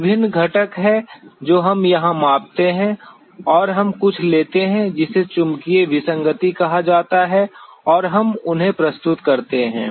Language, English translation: Hindi, There are various components that we measure here and we take something which is called a magnetic anomaly and we present them